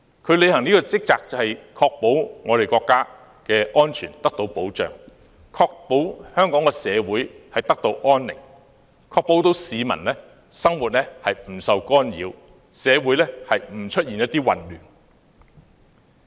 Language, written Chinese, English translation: Cantonese, 這項職責就是確保國家安全得到保障、確保香港社會得到安寧、確保市民生活不受干擾、社會不會出現混亂。, The responsibility is to protect national security so as to ensure that society will be harmonious peoples life will not be interfered and chaos will not arise